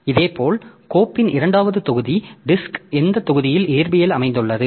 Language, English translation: Tamil, Similarly the second block of the file is located physically in which block of the disk